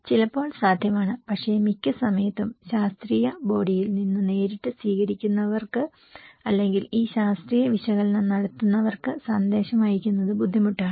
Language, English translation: Malayalam, Sometimes, is possible but most of the time it is difficult to send directly the message from the scientific body to the receivers or that those who are doing these scientific analysis they cannot also pass these informations to the receiver directly